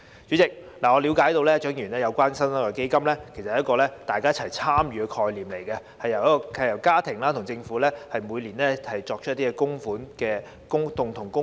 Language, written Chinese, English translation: Cantonese, 主席，據我了解，蔣麗芸議員議案中的"新生代基金"，是一個大家一起參與的概念，由家庭與政府每年共同供款。, President as far as I understand it joint participation is the concept behind the New Generation Fund the Fund proposed by Dr CHIANG Lai - wan in her motion whereby families and the Government will make joint contributions to the Fund every year